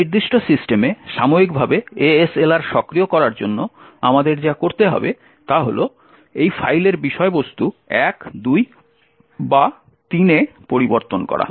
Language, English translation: Bengali, In order to enable ASLR on this particular system temporally what we need to do is change the contents of this file to either 1, 2, or 3